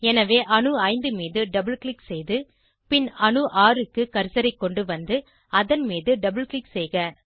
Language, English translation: Tamil, So, double click on atom 5 and bring the cursor to atom 6 and double click on it